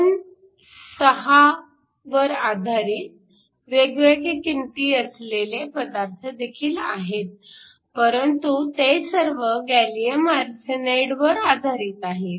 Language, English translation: Marathi, You can also have 2, 6 based materials with different values, but they are all based of gallium arsenide